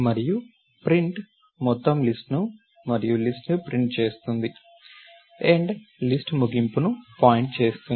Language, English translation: Telugu, And print() prints the entire list and list, end() points to the end of the list